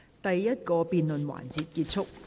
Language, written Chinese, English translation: Cantonese, 第一個辯論環節結束。, The first debate session ends